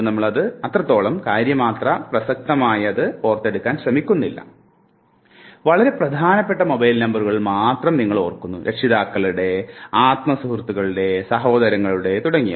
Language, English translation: Malayalam, You remember mobile numbers of only those which matters to you, parents, siblings, best friends, something like that